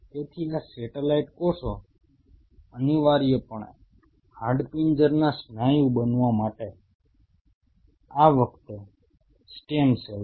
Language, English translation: Gujarati, So, these satellite cells are essentially it is stem cells this time to become a skeletal muscle